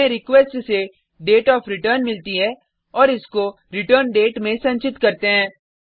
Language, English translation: Hindi, We get the dateofreturn from the request and store in the returndate